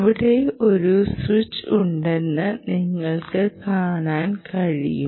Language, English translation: Malayalam, you can see that there is a switch here, right